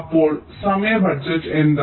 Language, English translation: Malayalam, increase the time budget here